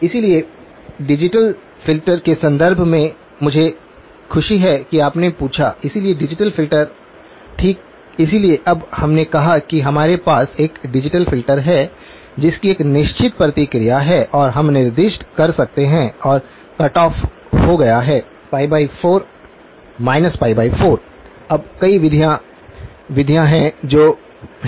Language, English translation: Hindi, So, in the context of digital filters, I am glad that you asked, so a digital filter okay, so now we said that we have a digital filter which has a certain response and we can specify and the cut off happened to be pi by 4; minus pi by 4, now there are several methods, methods that (()) (12:07)